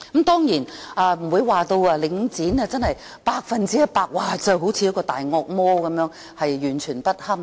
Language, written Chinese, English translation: Cantonese, 當然，我不會說領展是百分之一百的"大惡魔"，完全不堪。, Of course I am not saying that Link REIT is a 100 % monster that is totally unbearable